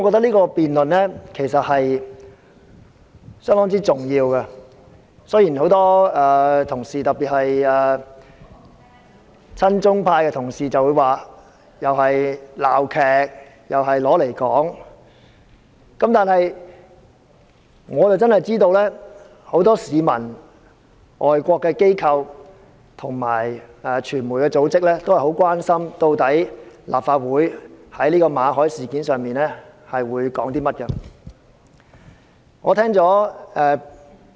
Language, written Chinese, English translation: Cantonese, 這項辯論相當重要，雖然很多同事——特別是親中派同事——或會認為這是一場鬧劇，但我知道很多市民、外國機構及傳媒組織很關心，立法會在馬凱事件上有甚麼意見。, This debate is really important . Although many colleagues especially pro - China colleagues may think that this is a farce I know that many people foreign institutions and media organizations are very concerned about the views of the Legislative Council on the Victor MALLET incident